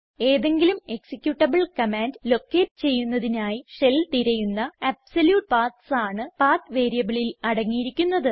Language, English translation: Malayalam, The PATH variable contains the absolute paths of the directories that the shell is supposed to search for locating any executable command